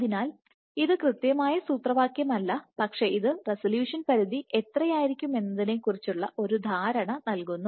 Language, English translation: Malayalam, So, this is not the exact expression, but this is roughly gives you an idea of how much would be the resolution limit